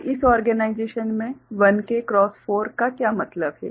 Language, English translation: Hindi, And this organization, 1K cross 4, what does it mean